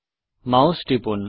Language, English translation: Bengali, Click the mouse